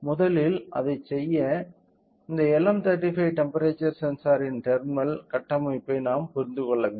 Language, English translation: Tamil, So, in order to do that first we should understand about the terminal configuration of this LM35